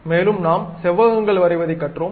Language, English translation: Tamil, And also we went with rectangles